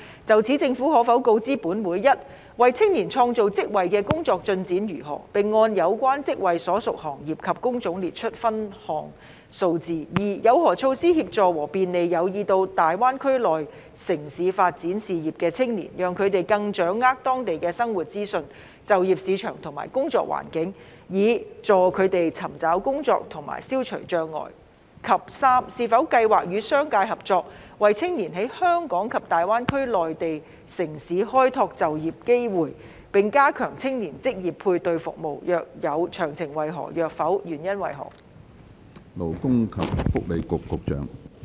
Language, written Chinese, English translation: Cantonese, 就此，政府可否告知本會：一為青年創造職位的工作進展為何，並按有關職位所屬行業及工種列出分項數字；二有何措施協助和便利有意到大灣區內地城市發展事業的青年，讓他們更掌握當地的生活資訊、就業市場和工作環境，以助他們尋找工作和消除障礙；及三有否計劃與商界合作，為青年在香港及大灣區內地城市開拓就業機會，並加強青年職業配對服務；若有，詳情為何；若否，原因為何？, In this connection will the Government inform this Council 1 of the progress of the work to create jobs for the youth with a breakdown of such jobs by the industry to which such jobs belong and the job type; 2 of the measures in place to help and facilitate youth who are interested in going to the Mainland cities in the Greater Bay Area for career development to have a better grasp of the information on living the job markets and working environments in such cities with a view to helping them seek employment there and overcome barriers; and 3 whether it has plans to collaborate with the business sector in creating job opportunities in Hong Kong and the Mainland cities in the Greater Bay Area for the youth and to step up job matching services for them; if so of the details; if not the reasons for that?